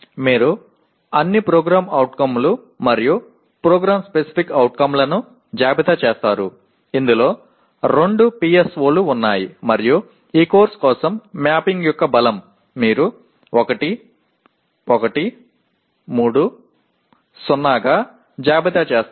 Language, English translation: Telugu, You list all the POs and the PSO, there are 2 PSOs in this and the strength of mapping for this course you list as 1, 1, 3, 0 and so on